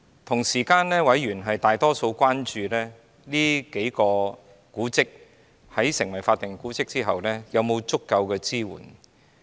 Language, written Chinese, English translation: Cantonese, 同時，委員大多數關注這數幢建築物在成為法定古蹟後，會否獲得足夠的支援。, Meanwhile the majority of members were concerned whether these buildings would get enough support after being declared as historic buildings